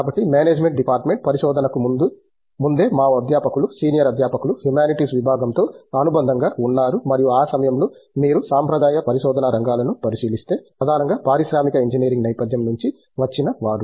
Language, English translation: Telugu, So, even prior to the research from the department of management studies a lot of our faculty, senior faculty where associated with the humanities department and if you look at the traditional areas of research at that point of time were mainly people who came from an industrial engineering background